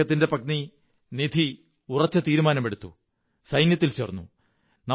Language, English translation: Malayalam, His wife Nidhi also took a resolve and joined the army